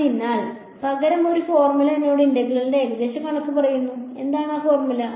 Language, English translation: Malayalam, So, instead a formula tells me an approximation of the integral, what is this formula